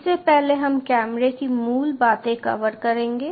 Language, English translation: Hindi, ok, prior to this we will cover the basics of the camera